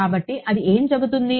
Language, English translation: Telugu, So, what does that say